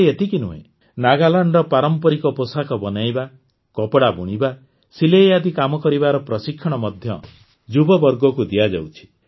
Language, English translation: Odia, Not only this, the youth are also trained in the traditional Nagaland style of apparel making, tailoring and weaving